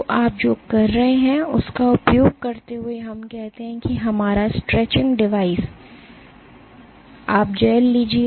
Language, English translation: Hindi, So, what you are doing is using a let us say our stretching device you take a gel